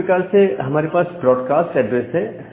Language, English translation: Hindi, Similarly, we have a broadcast address